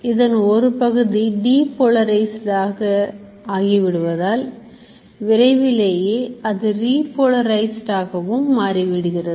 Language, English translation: Tamil, Now what happens as a part of it gets depolarized it very soon gets repolarized also